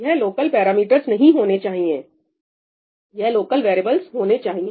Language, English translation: Hindi, This should not be ‘local Params’, this should be ‘local variables’